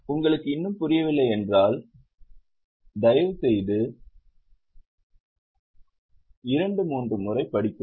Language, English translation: Tamil, If you have still not understood it, please read it two, three times